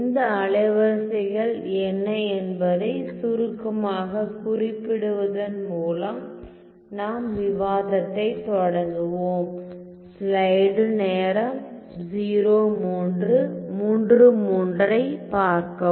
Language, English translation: Tamil, So, let me just start our discussion by just briefly mentioning what are these wavelets